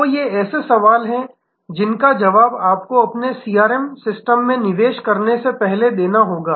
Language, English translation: Hindi, So, these are the questions, which must be answered first before you invest into your CRM system